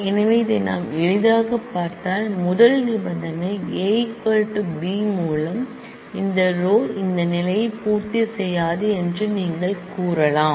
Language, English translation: Tamil, So, you can easily if we look through this we can easily say by the first condition A equal to B you can say that this row does not satisfy this condition